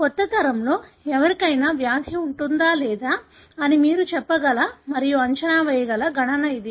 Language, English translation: Telugu, This is the kind of calculation you can tell and predict and then say whether in the new generation somebody would have the disease or not